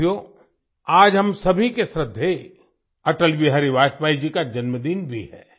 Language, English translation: Hindi, Friends, today is also the birthday of our respected Atal Bihari Vajpayee ji